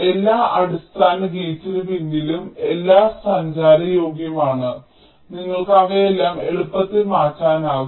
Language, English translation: Malayalam, for all the basic gates, the pins are all commutative and you can easily swap all of them, right